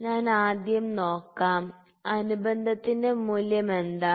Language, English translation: Malayalam, So, first I need to see what is the value of addendum